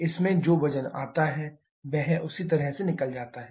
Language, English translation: Hindi, The weight comes in it just goes out the same way